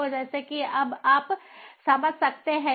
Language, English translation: Hindi, so, as you can understand now